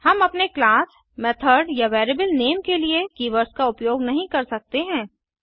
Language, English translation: Hindi, We cannot use keywords for our class, method or variable name